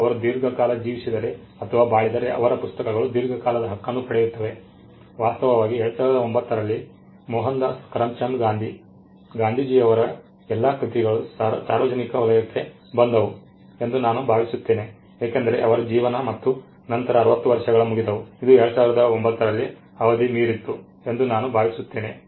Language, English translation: Kannada, And if he guess to live long then the books get a longer right, in fact I think it was in 2009 all the works of Mohandas Karamchand Gandhi, Gandhiji they came into the public domain, because his life plus 60 years; I think it expired in 2009 I can check and tell you the date